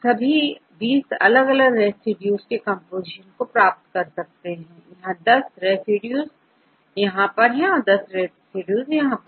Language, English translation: Hindi, You get the composition for 20 different residues, here 10 residues and here 10 residues